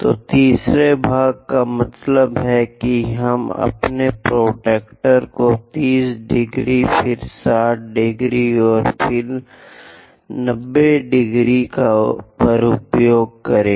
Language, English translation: Hindi, So, third part means let us use our protractor 30 degrees, again 60 degrees and 90 degrees